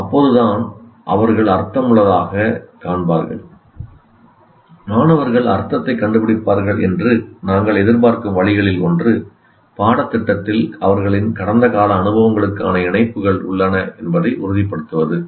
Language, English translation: Tamil, And one of the ways we expect students to find meaning is to be certain that the curriculum contains connections to their past experiences